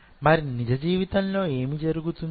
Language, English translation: Telugu, So, what will happen real life